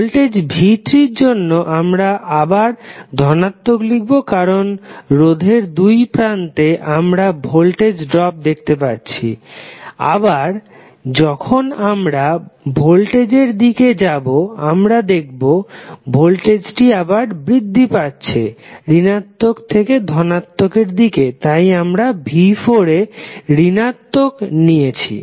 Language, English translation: Bengali, For voltage v¬3¬ we will again write as positive because the, across the resistance we will see the voltage drop and then again when we go across this voltage source, the voltage is again rising form negative to positive so we have taken voltage as negative of v¬4¬